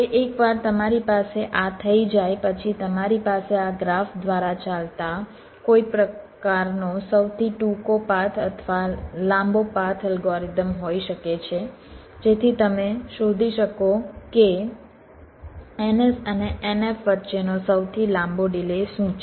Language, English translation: Gujarati, now, once you have this, then you can have some kind of a shortest path or the longest path algorithms running through this graph so that you can find out what is the longest delay between n, s and n f, the longest delay